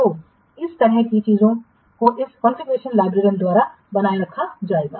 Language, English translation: Hindi, Let's see what can be the duties of the configuration librarian